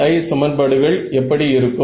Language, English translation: Tamil, So, what will the BI equations look like